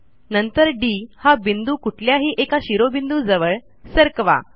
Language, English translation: Marathi, Move the point D towards one of the vertices